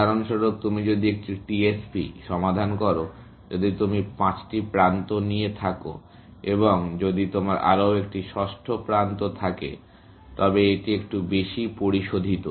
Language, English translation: Bengali, For example, if you are solving a TSP, if you have put in five edges, and if you had one more sixth edge, then that is a little bit more refined